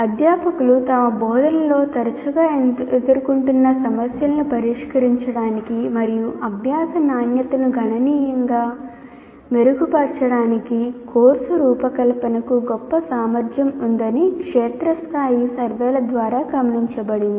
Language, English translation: Telugu, And it has been observed through field surveys that course design has the greatest potential for solving the problems that faculty frequently face in their teaching and improve the quality of learning significantly